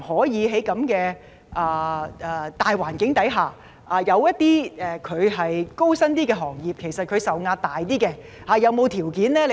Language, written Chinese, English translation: Cantonese, 在現時的大環境下，某些較高薪的行業承受較大壓力。, In the existing broad environment certain high - income industries have come under heavier pressure